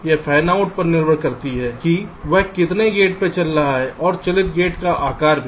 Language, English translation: Hindi, it depends on the fan out, how many gates it is driving and also the size of the driven gates